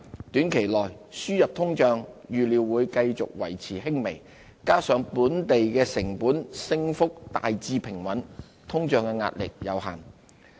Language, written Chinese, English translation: Cantonese, 短期內，輸入通脹預料會繼續維持輕微，加上本地成本升幅大致平穩，通脹壓力有限。, Short - term inflationary pressure is not substantial as imported inflation remains tame and the increase in local cost pressures is largely stable